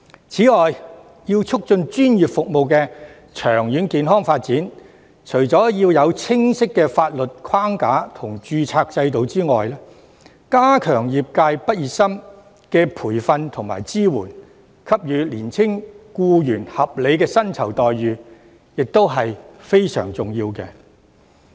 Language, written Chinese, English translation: Cantonese, 此外，為促進專業服務的長遠健康發展，除了要有清晰的法律框架和註冊制度外，加強對業界畢業生的培訓和支援，並給予年輕僱員合理的薪酬待遇，也是非常重要的。, On the other hand to promote the healthy development of professional services in the long run apart from establishing specific legal framework and registration system it is also very important to enhance the training and support of graduates in the industry and provide reasonable remuneration to the young employees